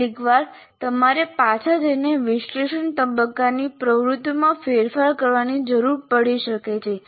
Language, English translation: Gujarati, And sometimes you may require to go back and modify the analysis, the activities of the analysis phase